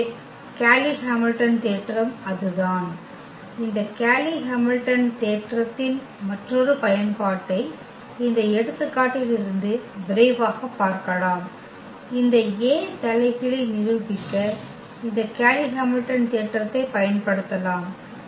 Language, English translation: Tamil, So, that is what the Cayley Hamilton theorem is; another use of this Cayley Hamilton theorem we can quickly look from this example we can use this Cayley Hamilton theorem to prove this A inverse